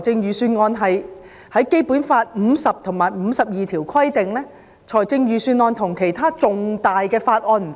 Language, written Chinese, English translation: Cantonese, 根據《基本法》第五十條及第五十二條，基本上，預算案與其他重大法案不同。, According to Articles 50 and 52 of the Basic Law the Budget is fundamentally different from other important bills